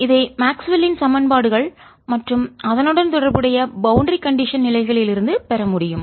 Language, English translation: Tamil, we want to understand that and this we should be able to derive from maxwell's equations and related boundary conditions